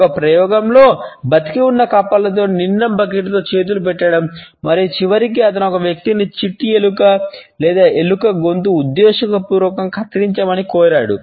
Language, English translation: Telugu, An experiment included putting once hands in a bucket full of live frogs and ultimately he asked a person to deliberately cut the throat of a mouse or a rodent